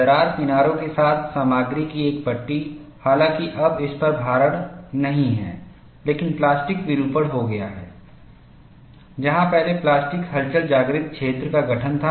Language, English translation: Hindi, A strip of material along the crack edges, though no longer loaded, but has undergone plastic deformation previously, constitutes the plastic wake